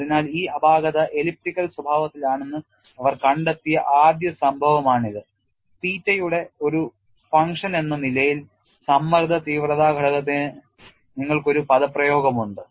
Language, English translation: Malayalam, So, this was the first instance when they found if the flaw is elliptical in nature, you have an expression for stress intensity factor as a function of theta